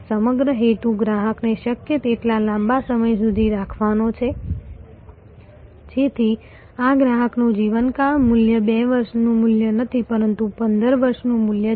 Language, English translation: Gujarati, The whole purpose is to have a customer for a longer as long as possible, so that this customer lifetime value is not a 2 year value, but is a 15 year value